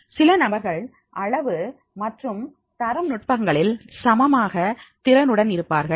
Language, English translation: Tamil, Some people are equally efficient in the qualitative and quantitative technique